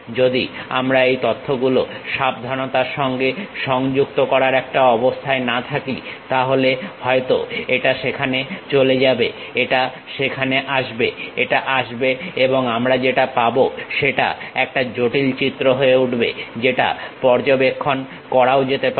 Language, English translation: Bengali, If we are not in a position to carefully connect this information maybe this one goes there, this one comes there, this one comes and it will be a complicated picture we will be having which might be observed also